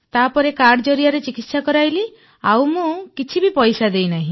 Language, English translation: Odia, Then I got the treatment done by card, and I did not spend any money